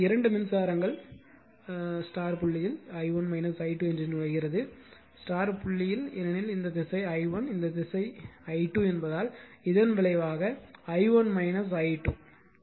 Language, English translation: Tamil, So, as the 2 currents are entering into the dot i1 minus i 2 entering into the because this this direction is i1 this direction is i 2, you have taken the resultant in this directions